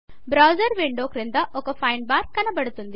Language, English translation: Telugu, A Find bar appears at the bottom of the browser window